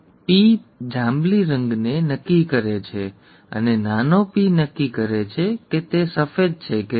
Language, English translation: Gujarati, The P determines the purple and the small p determines whether it is white